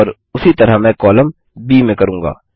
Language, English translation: Hindi, To do that select the column B here